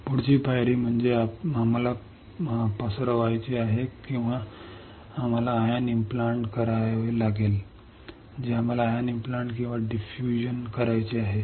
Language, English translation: Marathi, Next step is we have to diffuse or we had to ion implant what we have to ion implant or diffuse